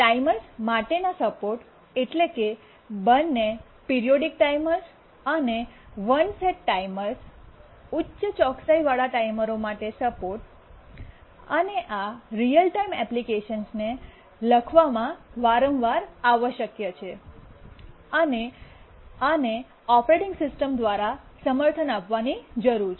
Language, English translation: Gujarati, Support for timers, both periodic timers and one set timers, high precision timers, these are frequently required in writing real time applications and need to be supported by the operating system